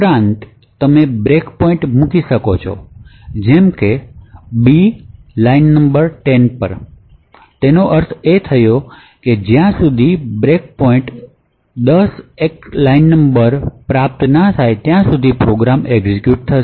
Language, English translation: Gujarati, Also, you could send break points such as b to line number 10, so what this means is that the program will execute until the break point 10 act line number 10 is obtained